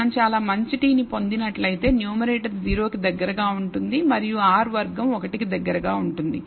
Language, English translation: Telugu, If we have obtained a very good t then the numerator will be close to 0 and R squared will be close to 1